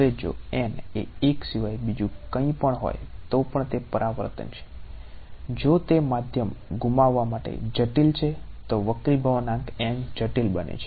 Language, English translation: Gujarati, Now, if n is anything other than 1 there is a reflection even if it is complex right for losing medium the reflective index n becomes complex